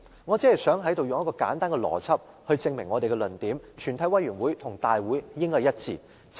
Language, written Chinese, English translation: Cantonese, 我只想在此用簡單的邏輯，證明民主派的論點，即全委會與立法會大會兩者應該一致。, I just want to give a simple reason to justify the argument of the pro - democracy camp that the quorum of a committee of the whole Council should be same as that for the Council